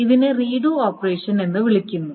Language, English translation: Malayalam, So this is called a redo operation